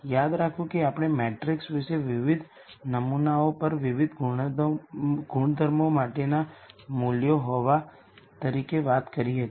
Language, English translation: Gujarati, Remember we talked about the matrix as having values for different attributes at different samples